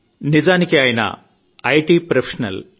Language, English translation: Telugu, He happens to be an IT professional…